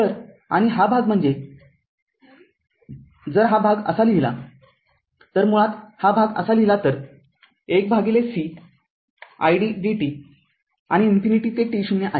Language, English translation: Marathi, So, and this this part that means, this part if we write like this, this basically if you make it like this that 1 upon c id dt and minus infinity to t 0 right